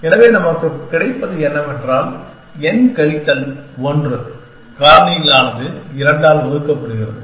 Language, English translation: Tamil, So, what we get is, n minus 1 factorial divided by 2